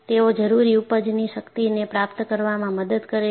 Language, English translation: Gujarati, They help to achieve the required yield strength